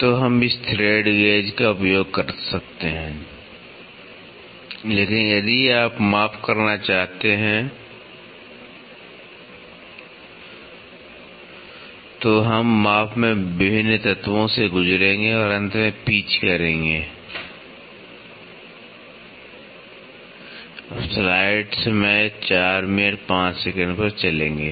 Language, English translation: Hindi, So, we can use this thread gauge, but if you want to do measurements then we will undergo various elements in measurement and finally pitch